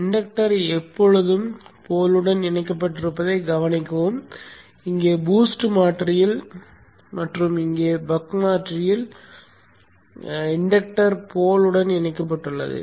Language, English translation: Tamil, Observe that the inductor is always connected to the pole both here in the boost converter and also here in the buck converter the inductor is connected to the pole